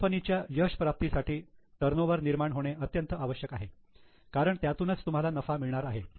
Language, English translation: Marathi, Now, generation of turnover is very important for success of company because that is what is going to give you profits